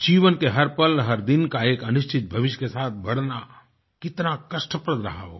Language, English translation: Hindi, How painful it would have been to spend every moment, every day of their lives hurtling towards an uncertain future